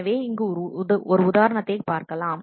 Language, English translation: Tamil, So, let us have a look at the example